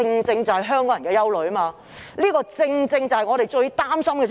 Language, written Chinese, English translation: Cantonese, 這是香港人的憂慮，也是令我們最擔心的事情。, This is the concern of Hong Kong people and it is also something that we are most worried about